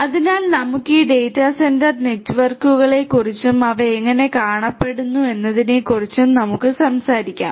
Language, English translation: Malayalam, So, let us talk about this data centre networks and how they look like schematically let us talk about that